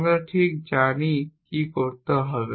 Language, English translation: Bengali, We know exactly what to do